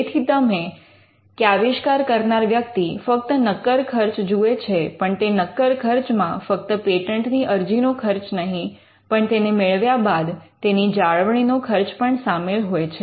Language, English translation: Gujarati, So, you or the inventor would normally look at the upfront cost, and the upfront cost is not just the filing cost, but it could also mean the cost that eventually pursue when a patent is granted